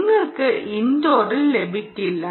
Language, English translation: Malayalam, you will not get it indoor